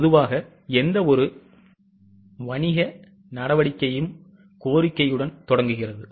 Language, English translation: Tamil, Normally any business activities start with the demand